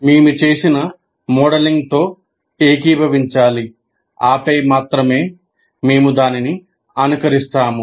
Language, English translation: Telugu, We have to agree with the kind of modeling that we have done